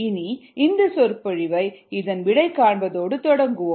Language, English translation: Tamil, we will start this lecture by solving this problem first